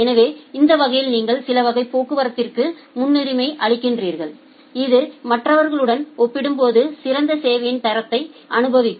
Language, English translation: Tamil, So, that way you are giving priority to certain classes of traffic which will experience better quality of service compared to others